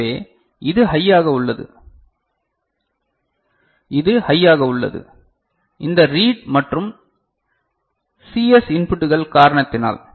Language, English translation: Tamil, So, this is high, this is high, because of this read and CS inputs ok